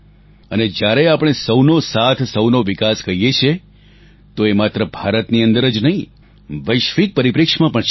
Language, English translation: Gujarati, And when we say Sabka Saath, Sabka Vikas, it is not limited to the confines of India